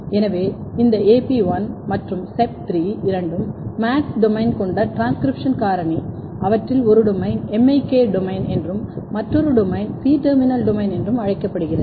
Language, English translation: Tamil, So, this AP1 and SEP3 both are MADS domain containing transcription factor, they have one domain which is called MIK domain and another domain is C terminal domain